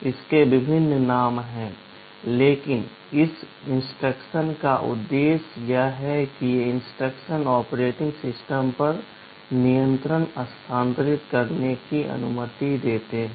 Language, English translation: Hindi, There are various names, but the purpose of this instructions is that, these instructions allow to transfer control to the operating system